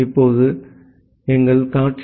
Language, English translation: Tamil, Now, so this is our scenario